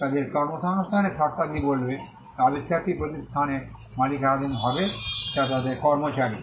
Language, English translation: Bengali, The terms of their employment will say that the invention shall be owned by the organization which employees them